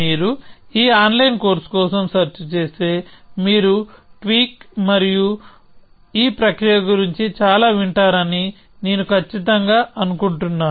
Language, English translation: Telugu, So, I am sure if you search for this online course, you will hear lot about tweak and this process essentially